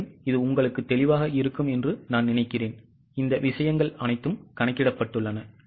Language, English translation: Tamil, So, I think it will be clear to you all these things have been calculated